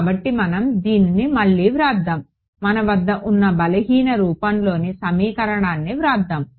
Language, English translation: Telugu, So, we will rewrite I mean we will write down this weak form now that we have